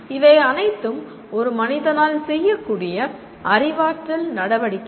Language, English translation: Tamil, These are all the cognitive activities a human can perform